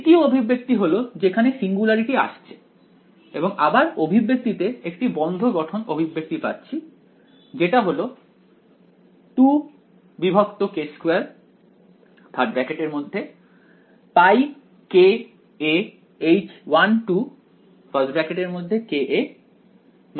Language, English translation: Bengali, The second expression is where the singularity at the alleged singularity appears and the expression is again there is a closed form expression pi k a H 1 2 of ka minus 2 j